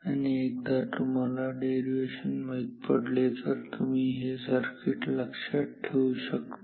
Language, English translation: Marathi, Once you know the derivation you can remember the circuit